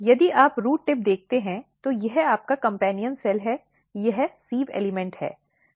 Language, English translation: Hindi, If you look the root tip, this is your companion cell, this is sieve element